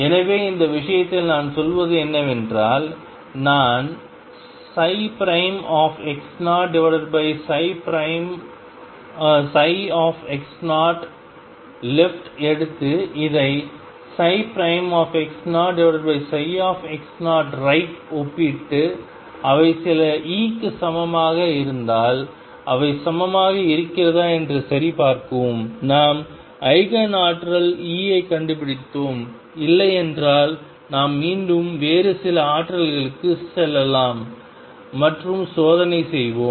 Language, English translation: Tamil, So, in this case what I do is I take psi prime x 0 over psi x 0 left and compare this with psi prime x 0 over psi x 0 coming from right and check if they are equal if they are equal for some e we have found the Eigen energy E, if not we again go to some other energy and check